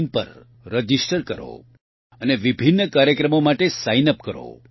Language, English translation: Gujarati, in and sign up for various programs